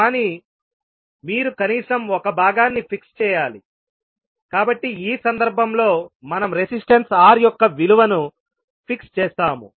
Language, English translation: Telugu, But you have to fix at least one component, so in this case we fixed the value of Resistance R